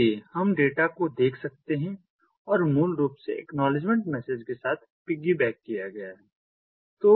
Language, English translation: Hindi, the, the data is basically piggybacked along with the acknowledgement data is piggybacked along with the acknowledgement message